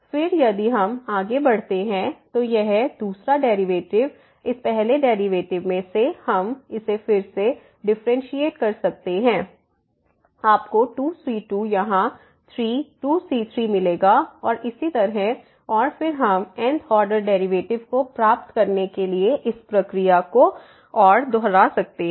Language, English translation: Hindi, Then if we move further, than the second derivative, so out of this first derivative we can again differentiate this you will get here 3 times 2 into and so on and then we can repeat this process further to get the th order derivatives